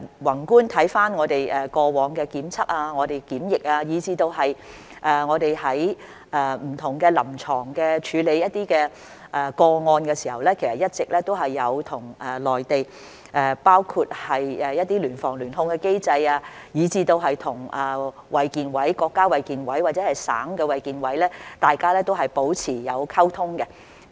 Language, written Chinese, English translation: Cantonese, 宏觀看我們過往的檢測及檢疫措施，以至我們在處理不同的臨床個案時，一直都有參考內地的一些聯防、聯控的機制，以及與衞生健康委員會，不論是國家衞健委或者省的衞健委，都是保持溝通的。, From a macro perspective in terms of our testing and quarantine measures as well as our handling of different clinical cases we have been making reference to the joint prevention and control mechanism in the Mainland and have been communicating with the Health Commission whether it is the National Health Commission or the Health Commissions at provincial level